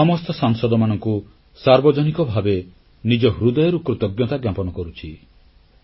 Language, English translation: Odia, Today, I publicly express my heartfelt gratitude to all MP's